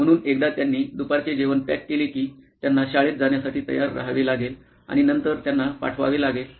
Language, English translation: Marathi, So, once they pack lunch, they have to get them ready to for school and then send them across